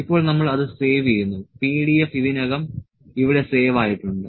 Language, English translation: Malayalam, Now, we will save it as PDF is already saved here